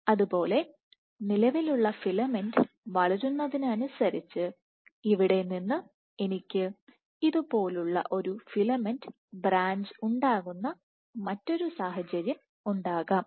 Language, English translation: Malayalam, Similarly, from here for the existing filament to grow I can have another situation where a filament branches like this